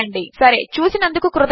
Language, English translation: Telugu, Alright, thanks for watching